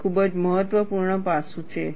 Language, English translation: Gujarati, This is very important